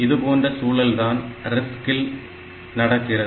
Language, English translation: Tamil, So, in case of RISC, this is what happens